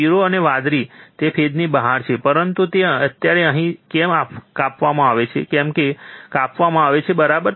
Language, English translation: Gujarati, Yellow and blue it is the out of phase, but why it is the now clipped here why it is clipped, right